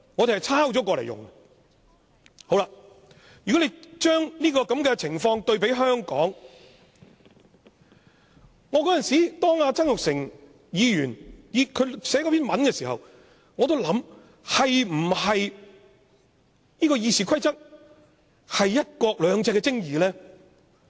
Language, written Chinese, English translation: Cantonese, 對比香港的情況，當前議員曾鈺成撰寫那篇文章的時候，我曾認真的思考《議事規則》是否"一國兩制"的精義呢？, As far as Hong Kong is concerned when I studied the article written by Jasper TSANG I did ponder the question was RoP the essence of one country two systems?